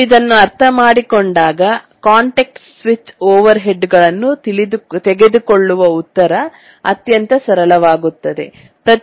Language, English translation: Kannada, And once we understand that then the answer about how to take context switch overheads becomes extremely simple